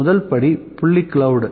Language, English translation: Tamil, The first step is the point cloud